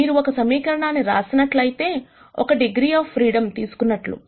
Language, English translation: Telugu, If you write one equation you are taking away one degree of freedom